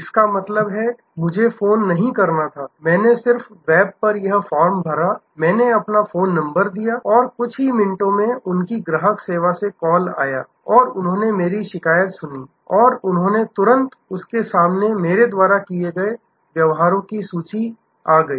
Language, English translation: Hindi, That means, I did not have to call, I just filled up this form on the web, I put in my phone number and within a few minutes, there was a call from their customer service and they listen to my complaint and they immediately they had the history in front of them